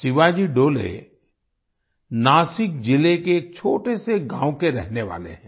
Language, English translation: Hindi, Shivaji Dole hails from a small village in Nashik district